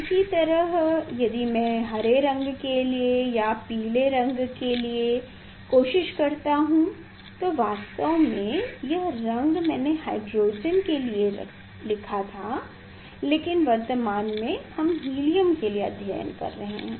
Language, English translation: Hindi, Similarly, if I try for the green one or yellow one here actually this color I wrote for the hydrogen, but at present we are reading helium